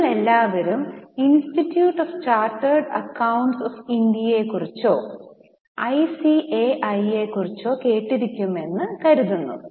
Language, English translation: Malayalam, I think you all would have heard about Institute of Chartered Accountants of India or ICAI